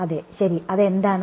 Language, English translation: Malayalam, Yes right it is just what is it